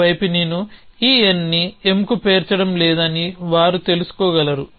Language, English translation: Telugu, One side does that they can know that I am not going to stack this n on to M